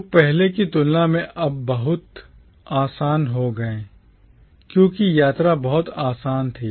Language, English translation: Hindi, People moved around a lot because travel was much easier compared to earlier times